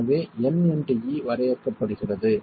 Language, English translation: Tamil, So, n into E is defined